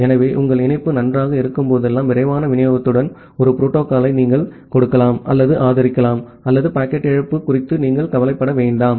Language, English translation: Tamil, So, you can give or support a protocol with faster delivery whenever your link is good, or you do not bother about the packet loss